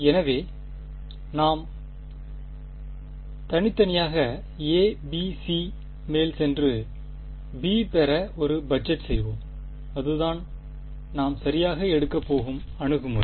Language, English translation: Tamil, So, we will individually go over a b c and do a budgeting to get b that is the approach that we are going to take ok